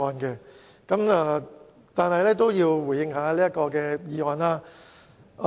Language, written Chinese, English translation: Cantonese, 不過，我也要回應一下這項議案。, Nevertheless I have to respond to this motion under discussion